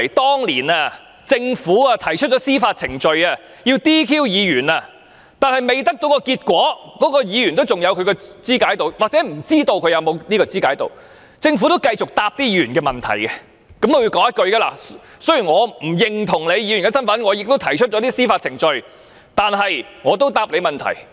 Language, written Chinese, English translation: Cantonese, 當年，政府提出司法程序來取消議員的資格，但在未得到結果前，該人仍然有或不知道是否還有議員的資格，而政府仍會繼續回答該人的問題，並說："雖然我不認同你議員的身份並已提出司法程序，但我仍然會回答你的問題。, Back then the Government initiated judicial proceedings to disqualify certain Members from office . But before the judicial challenge was resolved the person concerned was still or was uncertain of whether he was still qualified as a Member and the Government would continue to answer his question and say Although we do not acknowledge your identity and have initiated judicial proceedings I will still answer your question